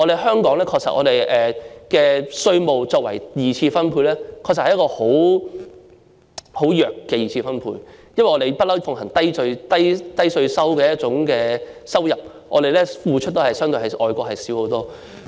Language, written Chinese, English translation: Cantonese, 香港的稅收作為二次分配的手段，確實是很弱的二次分配，因為我們一向奉行低稅率的收入，付出的較外國少得多。, In Hong Kong the use of tax revenue as a means of secondary distribution has indeed made the secondary distribution very weak . It is because our income is subject to a low tax rate which means that our tax payment is far less than that in overseas countries